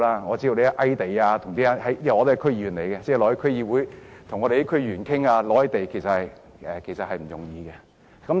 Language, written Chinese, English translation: Cantonese, 我也是區議員，他們到區議會與區議員商討覓地其實並不容易。, As a District Council member I know that it is actually not easy for them to discuss with members of District Councils on identifying land sites